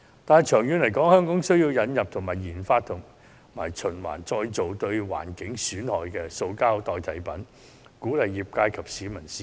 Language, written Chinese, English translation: Cantonese, 但長遠而言，香港需要引入或研發可循環再造及不損害環境的塑膠替代品，鼓勵業界及市民使用。, In the long run however Hong Kong will need to introduce or redevelop a recyclable plastic substitute that will not contaminate the environment and encourage the industry and the public to use the product